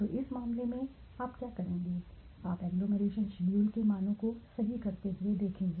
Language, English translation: Hindi, So, how what would you do in this case you will look at the agglomeration schedule the values right